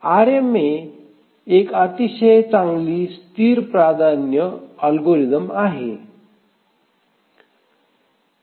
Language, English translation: Marathi, So, RMA is a very good static priority algorithm